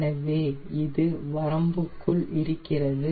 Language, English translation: Tamil, so this is well within range